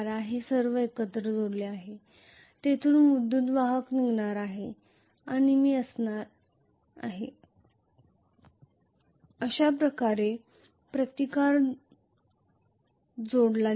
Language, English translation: Marathi, It is all connected together now from here the current is going to emanate and I am going to have the resistance connected like this